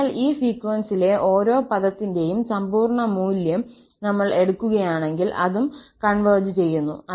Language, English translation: Malayalam, So, if we just take the absolute value of each of this term in the sequence, then that also converges